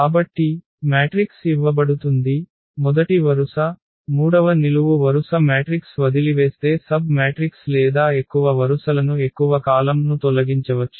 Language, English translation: Telugu, So, matrix is given we remove let us say first row, the third column then whatever left this matrix is a submatrix or we can remove more rows more columns